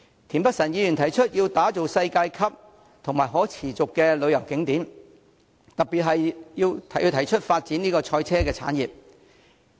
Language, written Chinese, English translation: Cantonese, 田北辰議員提出要打造世界級及可持續的旅遊景點，特別是發展賽車產業。, Mr Michael TIEN proposes developing world - class and sustainable tourist attractions and in particular developing the motorsport industry